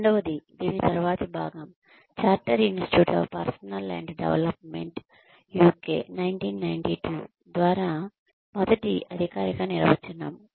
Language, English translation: Telugu, The second, the next part of this is, the first formal definition by, Chartered Institute of Personnel and Development, UK, 1992